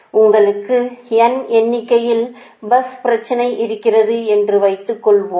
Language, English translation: Tamil, suppose you have your n bus problem